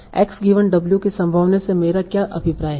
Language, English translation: Hindi, So that's how I find out the probability of x given w